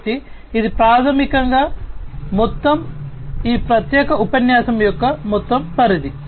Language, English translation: Telugu, So, this is basically the overall, you know, this is the overall scope of this particular lecture